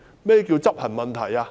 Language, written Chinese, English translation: Cantonese, 何謂執行問題？, What does it mean by an execution issue?